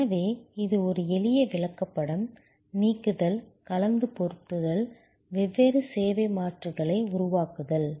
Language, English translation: Tamil, So, this is a simple chart, add delete, mix and match, create different service alternatives